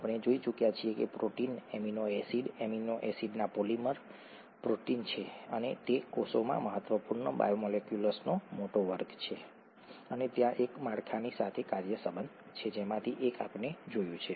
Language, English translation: Gujarati, We have already seen that proteins, amino acids, polymers of amino acids are proteins and they are a large class of important biomolecules in the cell and there is a structure function relationship, one of which we have seen